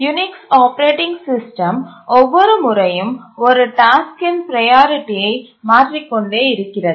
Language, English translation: Tamil, The Unix operating system keeps on shifting the priority level of a task at every time slice